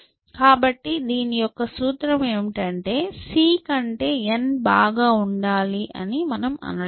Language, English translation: Telugu, So, the implication of this is the following that, I am not saying that n should be better than c